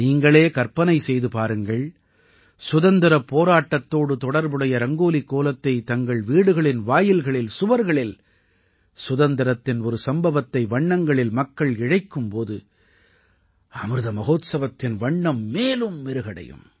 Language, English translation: Tamil, Just imagine, when a Rangoli related to the freedom movement will be created, people will draw a picture of a hero of the freedom struggle at their door, on their wall and depict an event of our independence movement with colours, hues of the Amrit festival will also increase manifold